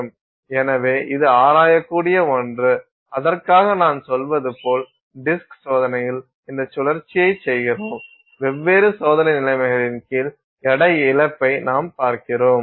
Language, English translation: Tamil, And for that as I said, we do the spin on disk test and we look for weight loss under different experimental conditions